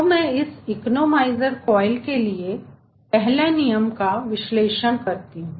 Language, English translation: Hindi, so i can do first law analysis for this economizer coil